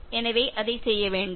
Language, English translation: Tamil, So, don’t do that